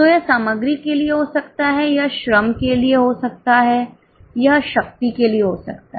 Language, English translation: Hindi, So, it can be for material, it can be labor, it can be for power